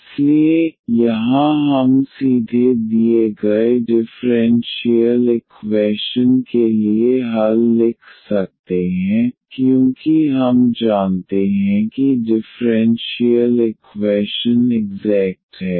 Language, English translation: Hindi, So, here we can write down directly for the given differential equation the solution once we know that the differential equation is exact